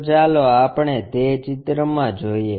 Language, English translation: Gujarati, So, let us look at that pictorially